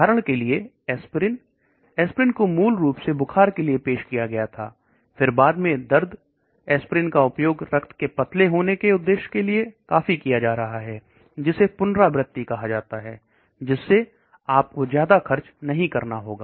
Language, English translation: Hindi, For example, aspirin, aspirin was originally introduced for fever then pain later on aspirin is being used quite a lot for blood thinning purpose,, that is called repurposing that will not cost you much